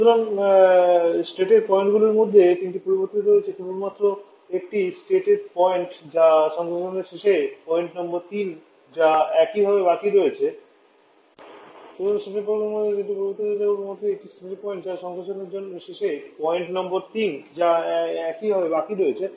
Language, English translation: Bengali, So 3 of the state points are changing only one state point that is point number 3 at the end of condensation that is remaining the same